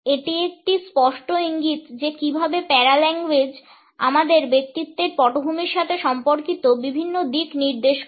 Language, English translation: Bengali, This is a clear indication of how paralanguage suggest different aspects related with our personality in background